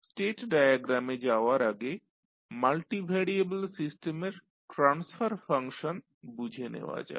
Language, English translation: Bengali, Let us first understand the transfer function in case of multi variable system